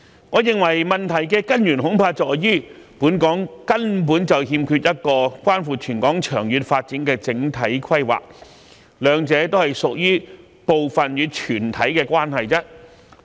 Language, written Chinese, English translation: Cantonese, 我認為問題的根源恐怕在於，本港根本欠缺一個關乎全港長遠發展的整體規劃，兩者屬於部分與全體的關係。, I hold that the root of the problem lies in the fact that we do not have a comprehensive planning for the long - term development of Hong Kong . The two form a part - whole relationship